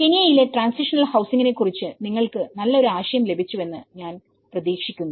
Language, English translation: Malayalam, I hope you got a better idea on transitional housing in Kenya